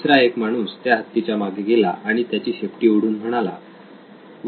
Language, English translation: Marathi, The other one went behind the elephant and pulled on the tail said, Wow